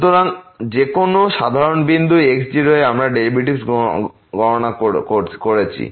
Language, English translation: Bengali, So, at any general point we are computing the derivative